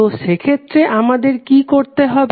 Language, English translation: Bengali, So, in that case what we have to do